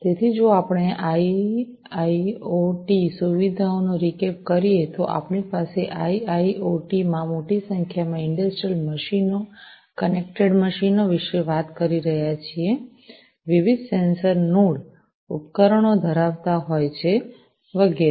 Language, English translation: Gujarati, So, if we take a recap of the IIoT features, we have in IIoT we are talking about large number of industrial machines, connected machines, having different sensor nodes devices, and so on